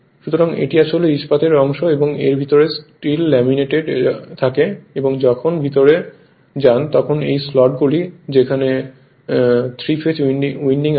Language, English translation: Bengali, So, this is actually your steel part and inside that will be steel laminated right and when you will go inside these are the slots where 3 phase windings are there